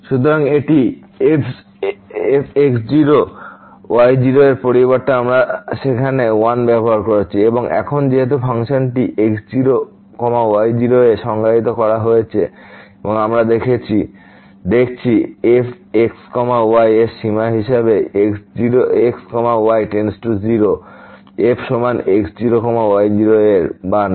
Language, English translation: Bengali, So, this instead of we used l there and now since the function has to be defined at and we are looking at whether the limit of as goes to 0 is equal to f or not